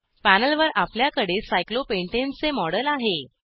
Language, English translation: Marathi, We have a model of cyclopentane on the panel